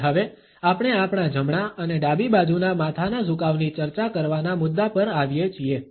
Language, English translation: Gujarati, And now, we come to the point of discussing our right and left handed tilts of the head